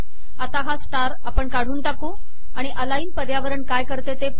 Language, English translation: Marathi, Let us remove the star and see what the aligned environment does